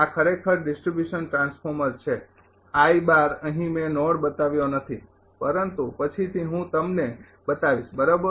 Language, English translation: Gujarati, This is actually distribution transformer here I by bar I did not show the node, but later I will show you right